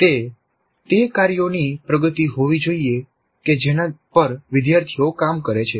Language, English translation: Gujarati, That should be the progression of the tasks on which the students work